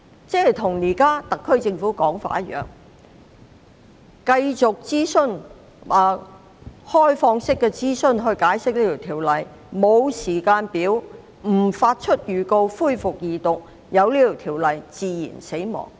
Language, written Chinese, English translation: Cantonese, 這無異於特區政府現時的說法，即繼續以開放式諮詢解釋《條例草案》，不設時間表，亦不發出恢復二讀辯論的預告，讓《條例草案》自然死亡。, 542 . That was no different from what the SAR Government is saying now ie . continuing with the consultation on and explanation of the Bill in an open manner without setting a timetable or giving notice for resumption of the Second Reading debate so that the Bill would die a natural death